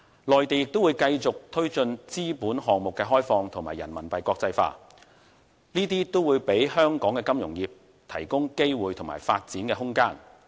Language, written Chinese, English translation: Cantonese, 內地會繼續推進資本項目開放及人民幣國際化，這些都為香港金融業提供機會及發展空間。, The Mainland will continue to promote the opening up of capital accounts and the internationalization of RMB and all these will provide opportunities and room for development for Hong Kongs financial industry